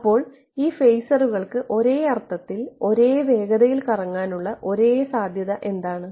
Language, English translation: Malayalam, So, what is the only possibility for these phasors to rotate at the same speed in some sense